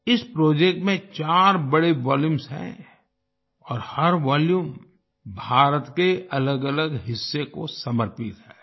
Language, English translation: Hindi, There are four big volumes in this project and each volume is dedicated to a different part of India